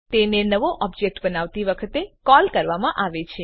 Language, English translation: Gujarati, It is called at the creation of new object